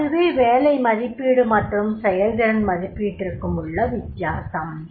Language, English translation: Tamil, That is whenever we talk about the job evaluation and the performance appraisal